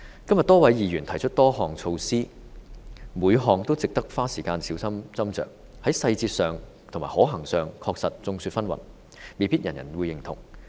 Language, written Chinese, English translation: Cantonese, 今天多位議員提出多項措施，每項都值得花時間小心斟酌，在細節上和可行性上確實眾說紛紜，未必人人認同。, Today a number of Members have put forward many measures . It is worthwhile for us to spend time studying each of these measures carefully and indeed views are diverse on their details and feasibility and a consensus may not necessarily be reached